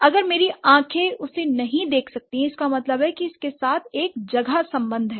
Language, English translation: Hindi, So, if I'm if my eyes can't see him, that means that that's that has a space relationship with this